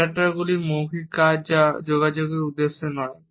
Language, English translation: Bengali, Adaptors are nonverbal acts that are not intended to communicate